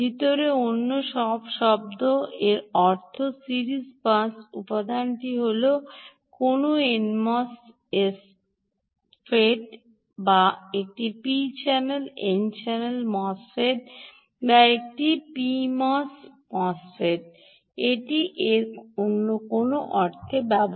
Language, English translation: Bengali, in other words, all that means is the series pass element is either a an n mosfet or a p channel n channel mosfet or a p channel mosfet